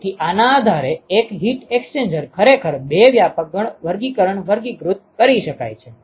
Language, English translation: Gujarati, So, based on this one can actually classify heat exchangers into two broad classifications